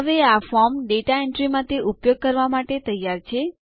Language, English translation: Gujarati, Now this form is ready to use for data entry